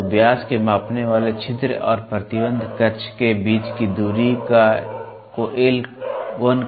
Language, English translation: Hindi, So, the distance between the measuring orifice of the dia and the restriction orifice is called L